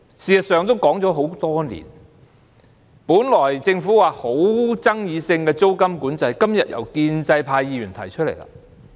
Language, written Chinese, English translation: Cantonese, 事實上，這議題已討論多年，本來政府認為極富爭議性的租金管制，今天也由建制派議員提出來。, In fact this issue has been discussed for years . The introduction of rent control which the Government considered to be extremely controversial in the first place is proposed even by the pro - establishment Members today